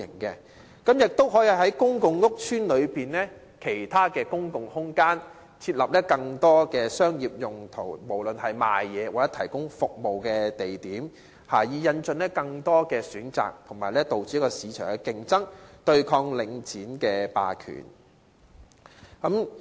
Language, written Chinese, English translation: Cantonese, 此外，亦可以考慮在公共屋邨內的其他公共空間設立更多作商業用途——不論是販賣貨物或提供服務——的地點，以引進更多選擇及促進市場競爭，對抗領展霸權。, Furthermore consideration can be given to designating more locations in other public spaces in public housing estates for commercial purposes be it for peddling or provision of services so as to introduce more choices and foster market competition to counteract Link REITs hegemony